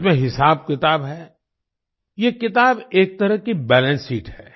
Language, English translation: Hindi, With accounts in it, this book is a kind of balance sheet